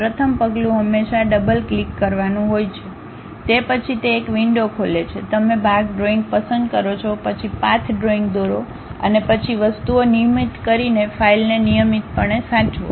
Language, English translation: Gujarati, First step is always double clicking, then it opens a window, you pick part drawing, then go draw the path drawing, and then regularly save the file by drawing the things